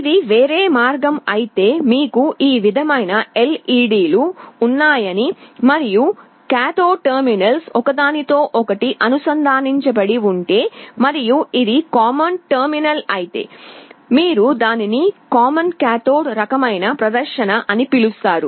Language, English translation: Telugu, But if it is the other way around means you have the LEDs like this and if the cathode terminals are connected together and this is the common terminal, you call this a common cathode kind of display